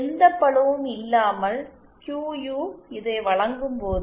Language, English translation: Tamil, When QU without any loading is given by this